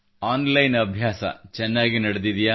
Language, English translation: Kannada, Are their online studies going on well